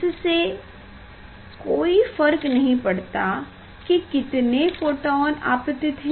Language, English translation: Hindi, it does not matter how many photons are falling on that